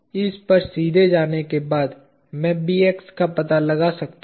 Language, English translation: Hindi, Having got on this directly I can find out Bx